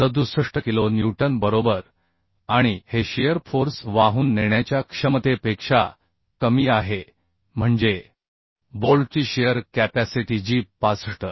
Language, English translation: Marathi, 67 kilonewton right and this is less than the shear force carrying capacity means shear strength capacity of the bolt which is 65